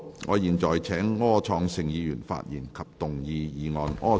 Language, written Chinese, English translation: Cantonese, 我現在請柯創盛議員發言及動議議案。, I now call upon Mr Wilson OR to speak and move the motion